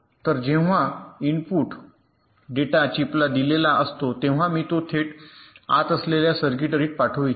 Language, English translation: Marathi, so when the input data is fed to a chip, i want to send it directly to the circuitry inside